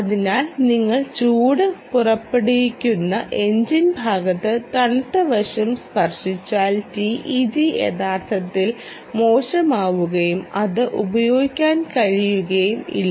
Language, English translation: Malayalam, so if you touch the cold side on to the engine side which is emanating lot of heat, then you may actually the teg may actually go bad and may not be able to, you may not be use it